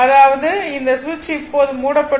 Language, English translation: Tamil, That means this switch is closed now